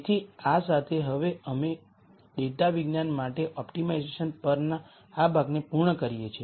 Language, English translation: Gujarati, We come to the last topic in this series of lectures on optimization for data science